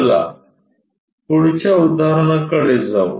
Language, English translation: Marathi, Let us move on to the next example